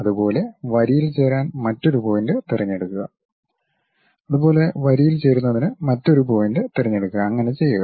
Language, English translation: Malayalam, Similarly, pick another point join it by line; similarly, pick another point join it by line and so on